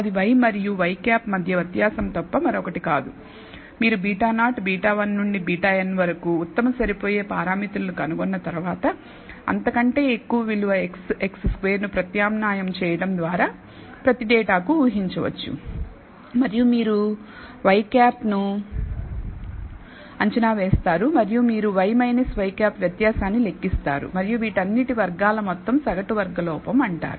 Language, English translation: Telugu, That is nothing but the difference between y and y hat after you have found out best fit parameters of beta naught, beta 1 up to beta n, you can predict for every data by substituting the value of x, x squared and so on and you predict y hat and you compute the difference y minus y hat and sum over squared of all this is called the mean squared error